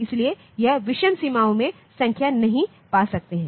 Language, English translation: Hindi, So, it you cannot have the number in odd boundaries